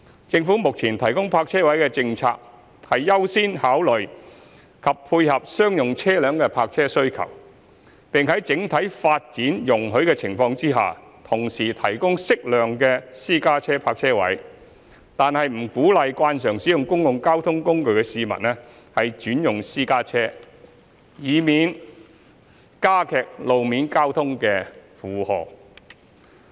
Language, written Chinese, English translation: Cantonese, 政府目前提供泊車位的政策，是優先考慮及配合商用車輛的泊車需求，並在整體發展容許的情況下同時提供適量的私家車泊車位，但不鼓勵慣常使用公共交通工具的市民轉用私家車，以免增加路面交通的負荷。, The Governments current policy on the provision of parking spaces is to accord priority to considering and meeting the parking demand of commercial vehicles and to provide an appropriate number of private car parking spaces if the overall development permits but at the same time not to cause frequent users of public transport to opt for private cars in lieu of public transport so as to avoid aggravating the road traffic